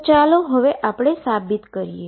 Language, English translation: Gujarati, So, let us now prove these